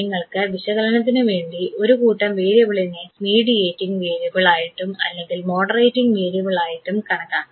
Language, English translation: Malayalam, You can also for your purpose of analysis you can consider one set variable as either mediating variable or the moderating variable